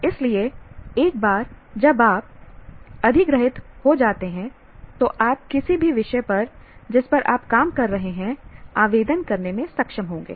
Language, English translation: Hindi, So once you acquire, you will be able to apply to any subject that you are dealing with